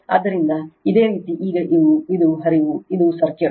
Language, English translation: Kannada, So, if you now this is this is the flow, this is the circuit right